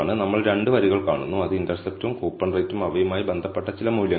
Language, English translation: Malayalam, We see 2 rows which is intercept and coupon rate and certain set of values associated with them